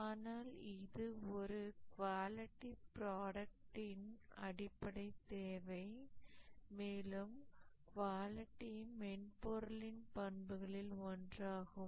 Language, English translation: Tamil, But then this is only a basic requirement for a quality product, one of the attributes of a quality software